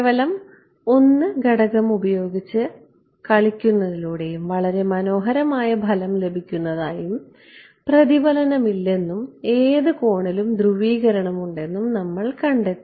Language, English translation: Malayalam, And we found that by playing around with just 1 parameter and getting a very beautiful result no reflection and any polarization at any angle ok